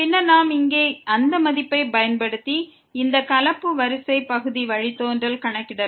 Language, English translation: Tamil, Then we can use that value here and compute this mixed order partial derivative